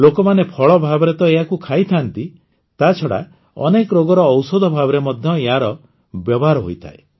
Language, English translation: Odia, People consume it not only in the form of fruit, but it is also used in the treatment of many diseases